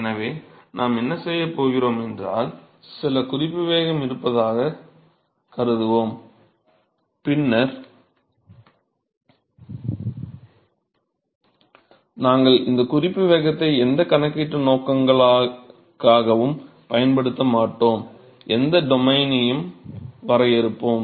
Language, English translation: Tamil, So, what we are going to do is we going to assume that there is some reference velocity we are going to show later that we will not be using this reference velocity for any of the calculation purposes in fact, to even define any of the domains